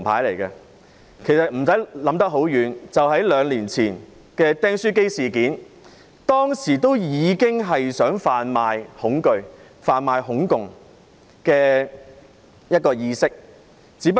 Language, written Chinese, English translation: Cantonese, 不用說太遠，兩年前民主黨在"釘書機事件"中，已經想販賣恐懼和"恐共"意識。, I will not mention incidents which happened long ago . Two years ago the Democratic Party tried to spread fear and communism phobia in the staples incident